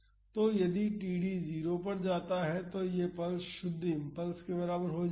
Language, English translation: Hindi, So, if td tends to 0 then this pulse will become equivalent to a pure impulse